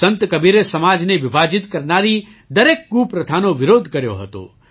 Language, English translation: Gujarati, Sant Kabir opposed every evil practice that divided the society; tried to awaken the society